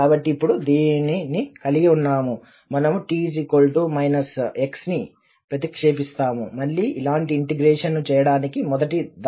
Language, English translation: Telugu, So, having this now, we will just substitute t equal to minus x in the first one to make similar integral again